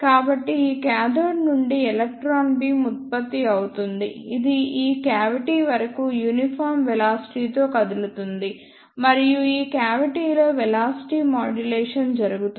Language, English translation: Telugu, So, electron beam is generated from this cathode which moves with a uniform velocity till this cavity and in this cavity the velocity modulation takes place